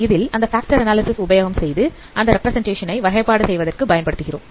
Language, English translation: Tamil, So you can perform factor analysis and then those representation can be used for classification